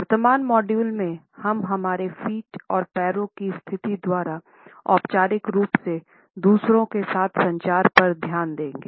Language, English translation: Hindi, In the current module we would look at the interpretations which are communicated by our feet and by the positioning of legs in our formal communication with others